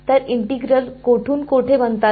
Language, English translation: Marathi, So, integrals form where to where